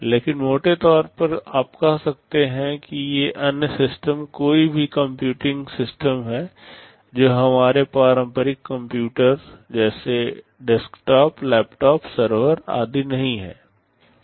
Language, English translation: Hindi, But broadly speaking you can say that these other systems are any computing system, which are not our conventional computers like desktop, laptop, servers etc